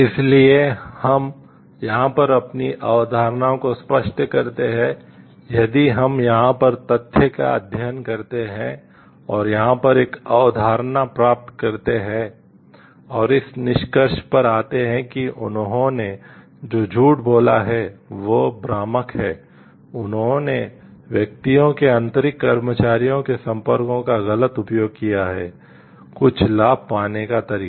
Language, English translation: Hindi, So, if from we get or concepts clear over here, if we study the fact over here, and get a concepts over here and come to the conclusion yes they have lied, they have been deceptive, they have used the persons inner employees contacts in a wrong way to get certain benefits